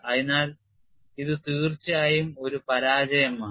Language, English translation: Malayalam, So, this is definitely a failure